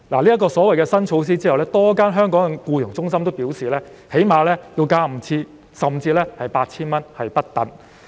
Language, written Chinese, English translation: Cantonese, 在實施新措施後，香港多間外傭中心表示所需費用最少會增加 5,000 元至 8,000 元不等。, After the implementation of the new measures a number of FDH employment agencies in Hong Kong said that the fees payable would increase by at least 5,000 to 8,000